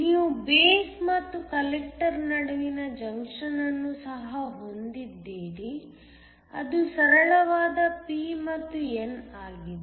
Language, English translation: Kannada, You also have the junction between the base and the collector which is a simple p and n